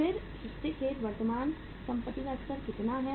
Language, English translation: Hindi, Again the level of sorry current assets level is how much